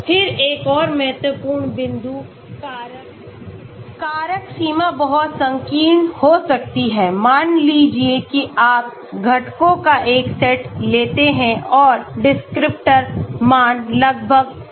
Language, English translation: Hindi, Then, another important point, factors range may be too narrow, like suppose you take a set of components and the descriptor values are almost same